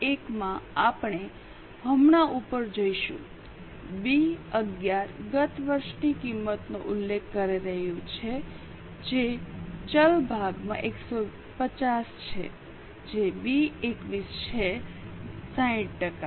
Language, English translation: Gujarati, B11 is referring to last year's cost which is 150 into the variable portion which is B 21 60%